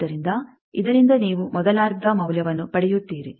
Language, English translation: Kannada, So, from this you get the first half value